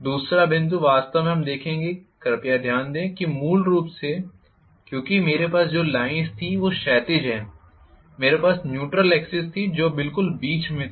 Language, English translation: Hindi, These are the effects of armature reaction, the second point actually we would see is please note that originally because I was having the lines which are horizontal, I was having the neutral axis which was exactly in the middle